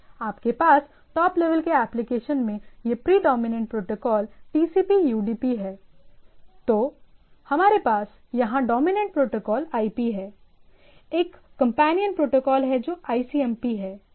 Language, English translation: Hindi, And if you have that at the top level application, this predominant protocol here is TCP, UDP, then we have here the dominant protocol is IP, there are companion protocol which is ICMP